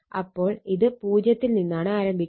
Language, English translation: Malayalam, So, this is starting from here 0